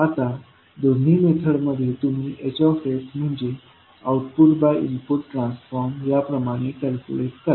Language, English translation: Marathi, Now, in both methods you calculate H s as the ratio of output at output to input transform